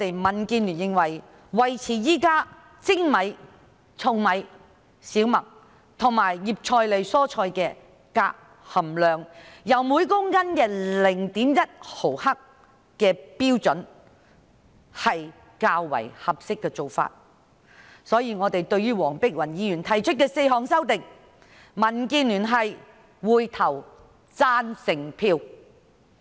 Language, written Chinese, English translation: Cantonese, 民建聯認為，將現時精米、糙米、小麥及葉菜類蔬菜的鎘含量，維持於每公斤 0.1 毫克的標準是較為合適的做法，因此，就黃碧雲議員在擬議決議案中提出的4項修正案，民建聯會投下贊成票。, DAB considers it more appropriate to retain the existing standard of 0.1 mgkg for cadmium in polished rice husked rice wheat and leafy vegetables . For this reason DAB will vote for the four amendments proposed by Dr Helena WONG in the proposed resolution